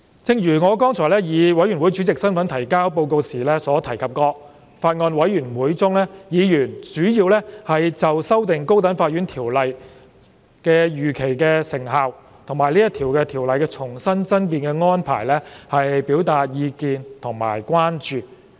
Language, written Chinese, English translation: Cantonese, 正如我剛才以法案委員會主席身份提交報告時所提及，在法案委員會中，委員主要就修訂《高等法院條例》的預期成效和《條例草案》的重新爭辯安排表達意見和關注。, As mentioned in the Report I made earlier in my capacity of Chairman of the Bills Committee during the Bills Committee meeting members expressed their views and concerns mainly about the expected effectiveness of the amendments to the High Court Ordinance Cap . 4 and the re - argument arrangement under the Ordinance